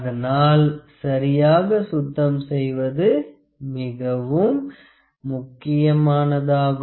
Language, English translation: Tamil, So, it is important to clean it properly